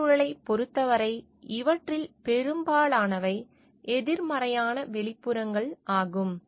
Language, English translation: Tamil, Regarding the environment, most of these are negative externalities